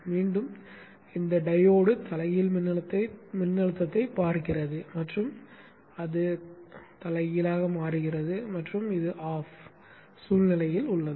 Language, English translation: Tamil, Again this diode sees a reverse voltage and it is reversed biased and in the off situation